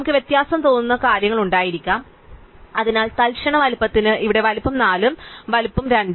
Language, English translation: Malayalam, So, we could have things which look quit difference, so size here for instant size is 4 and size is 2